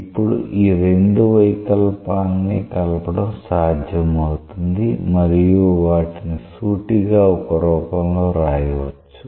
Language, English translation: Telugu, Now it is possible to combine these two deformations and write it in some way which is again a very straightforward thing